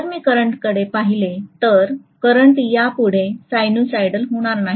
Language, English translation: Marathi, So if I look at the current, the current will not be sinusoidal any more